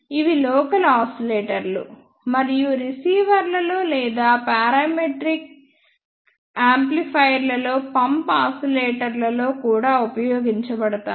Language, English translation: Telugu, They are also used in local oscillators and receivers, or in pump oscillators and in parametric amplifiers